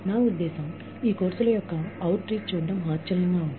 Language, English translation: Telugu, I mean, it is amazing, to see the outreach of these courses